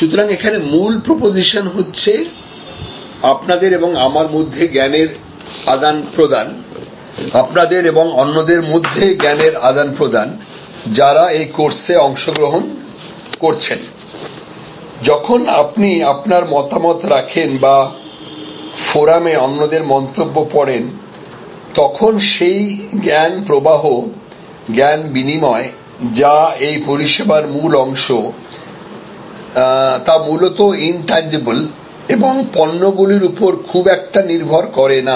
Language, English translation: Bengali, So, the core proposition here, the exchange of knowledge between you and me, exchange of knowledge between you and the others, who are participating in this course when you put your comments or read others comments on the forum, that knowledge flow, knowledge exchange which is at the core of this service is mostly intangible and is not really dependent on goods or products